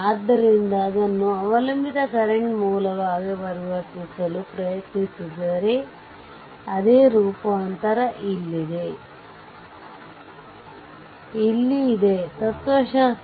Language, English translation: Kannada, So, if try to convert it to the your what you call dependent current source, same transformation same philosophy here right